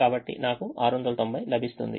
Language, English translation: Telugu, so i get six hundred and ninety